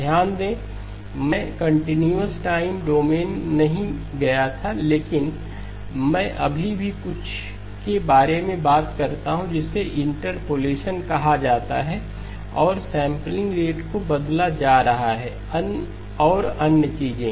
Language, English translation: Hindi, Notice that I did not go to the continuous time domain at all but I still talk about something called interpolation and the sampling rate being changed and other things